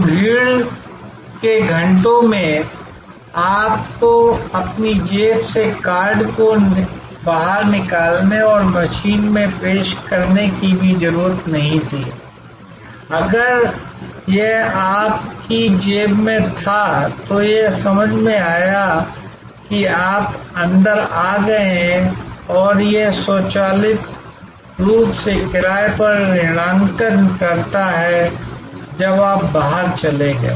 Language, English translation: Hindi, So, in the rush hours, you did not have to even take out the card from your pocket and present it to the machine, if it was in your pocket, it sensed that you have got in and it automatically debited the fare, when you went out